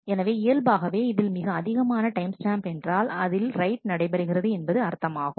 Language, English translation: Tamil, So, naturally what it means the largest timestamp means the latest write that has happened